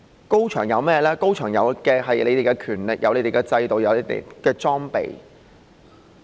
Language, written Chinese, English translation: Cantonese, 高牆有的是你們的權力、你們的制度及裝備。, The high wall has your powers your systems and equipment